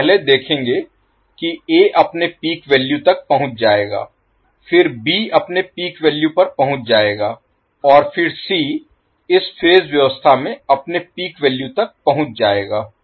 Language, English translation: Hindi, So, will see first A will reach its peak value, then B will reach its peak value and then C will reach its peak value in the in this particular phase arrangement